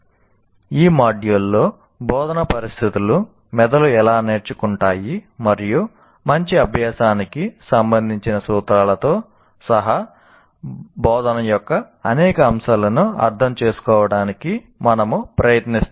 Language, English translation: Telugu, So in this module we attempt to understand several aspects of instruction including instructional situations, how brains learn and the principles for good learning